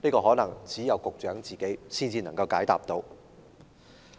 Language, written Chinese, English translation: Cantonese, 可能只有局長自己才能解答。, Perhaps the Secretary is the only one who can answer that